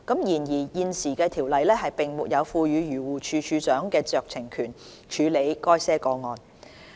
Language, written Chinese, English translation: Cantonese, 然而，現時的《條例》並沒有賦予漁護署署長酌情權處理該些個案。, However DAFC does not have any discretionary power under the existing Ordinance to handle such cases